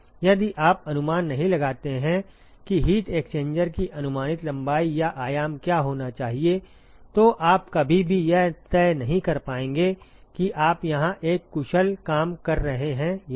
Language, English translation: Hindi, If you do not estimate what should be the approximate length or the dimensions of the heat exchanger, you would never be able to decide whether you are doing an efficient job here